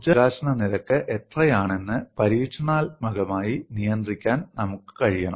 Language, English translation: Malayalam, We should be able to control, experimentally, what is the energy release rate